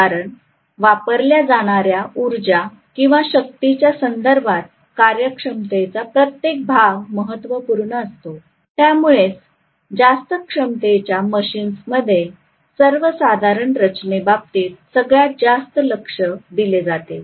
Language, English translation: Marathi, Because every percentage efficiency matters in terms of the energy or the power that is being consumed, so that is the reason generally high capacity machines are paid at most attention in terms of design